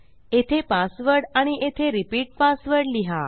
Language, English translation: Marathi, Here is the password and repeat password